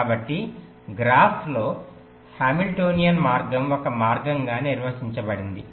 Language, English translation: Telugu, so in graphs, hamiltionian path is define to be a path